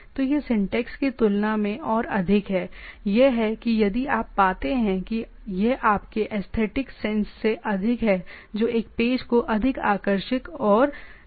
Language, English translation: Hindi, So, it is more of a other than the syntax, it is if you find it is more of a if your aesthetic sense which makes a page more appealing and type of things